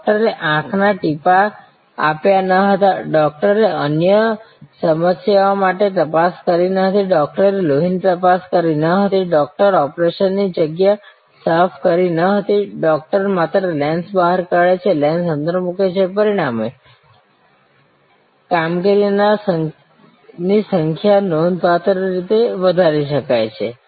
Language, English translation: Gujarati, The doctor did not give eye drops, the doctor did not check for other problems, the doctor did not do the blood test, the doctor was not cleaning the operation area, the doctor was only doing take lens out, put lens in, take lens out, put lens in